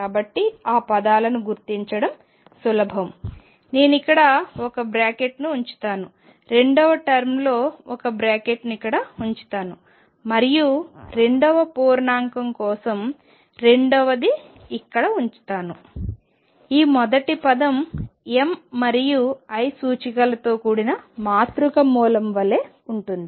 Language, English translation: Telugu, So, that terms are easy to identify, I will put one bracket here, second bracket in the second term one bracket here and second one for the second integer, this first term is like a matrix element with m and l indices this term is also a matrix element with l and n indices